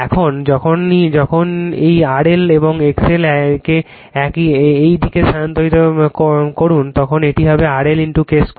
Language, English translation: Bengali, And when you transform this R L and X L to this side it will be thenyour R L into your K square